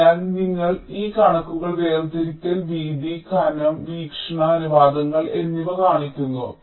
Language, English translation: Malayalam, so here we show these figures: separation, width, thickness and also the aspect ratios